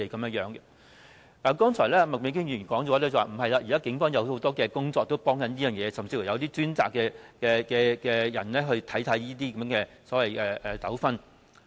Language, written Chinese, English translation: Cantonese, 剛才麥美娟議員說現時警方也做了不少的工作和提供幫助，甚至亦有專責的人員負責處理這類糾紛。, Earlier on Ms Alice MAK remarked that the Police have made a lot of efforts to provide assistance and they even have dedicated staff responsible for handling these disputes